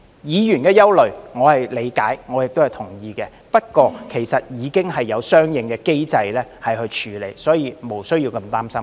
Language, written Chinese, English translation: Cantonese, 議員的憂慮，我是理解亦同意的，不過，其實已經有相應的機制處理，所以無須那麼擔心。, I understand and agree with Members concerns but there is already a corresponding mechanism in place to deal with them hence we need not be so worried